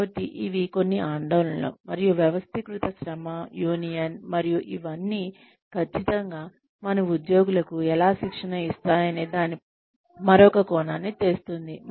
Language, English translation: Telugu, So these are some of the concerns, that, and organized labor, unionization and all of that, definitely brings another angle, to what, how we train our employees